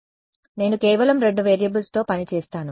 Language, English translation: Telugu, So, that I work with just two variables right